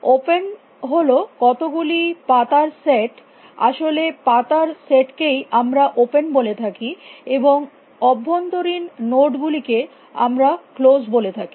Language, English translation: Bengali, Open is the set of leaves actually the set of leaves we call as open, and the set of internal nodes we call as closed